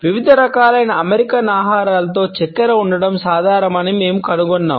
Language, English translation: Telugu, We find that it is common in different types of American foods to have sugar